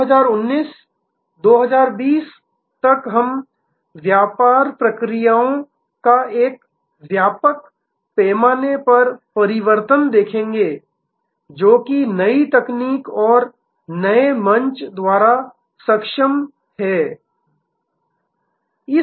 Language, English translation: Hindi, By 2019, 2020 we will see a wide scale transformation of business processes, which are enabled by new technology and new platform